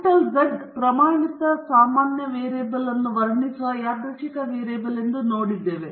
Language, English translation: Kannada, We saw that capital Z is a random variable describing the standard normal variable